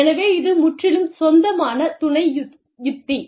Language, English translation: Tamil, So, this is the, wholly owned subsidiary strategy